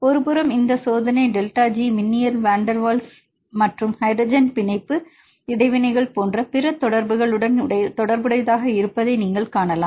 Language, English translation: Tamil, On one hand on the second hand you can see these experimental delta G can be related with the other interactions like electrostatic van der Waals and hydrogen bonding interactions